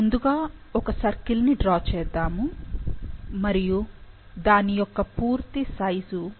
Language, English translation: Telugu, So, first let’s draw a circle and the total size which is 10 Kb, ok